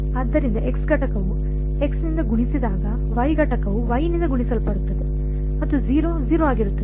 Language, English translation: Kannada, So, the x component multiplies by the x, the y component multiplies by the y and the 0 is 0